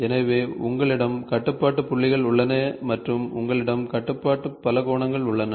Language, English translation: Tamil, So, you have control points and you have control polygons